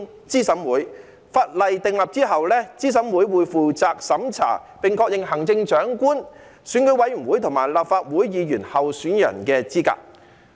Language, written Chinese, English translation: Cantonese, 在法例訂立後，資審會將負責審查並確認行政長官、選舉委員會及立法會議員候選人的資格。, After the legislation is enacted CERC will be responsible for vetting and confirming the eligibility of candidates for the office of the Chief Executive and for memberships of the Election Committee and the Legislative Council